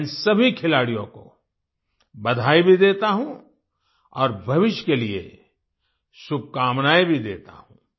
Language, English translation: Hindi, I also congratulate all these players and wish them all the best for the future